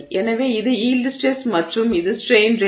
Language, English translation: Tamil, So this is yield stress and this is strain rate